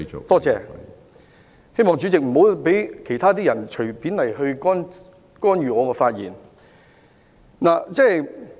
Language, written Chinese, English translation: Cantonese, 多謝，希望主席不要讓其他人隨便干預我的發言。, Thank you . It is my hope that Chairman does not let anyone else arbitrarily interfere with my speech